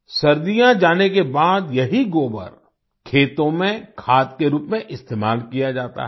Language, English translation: Hindi, After winters, this cow dung is used as manure in the fields